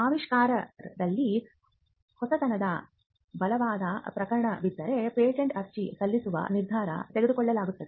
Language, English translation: Kannada, Now, if there is a strong case of novelty and inventiveness that is made out, then a decision to file a patent will be made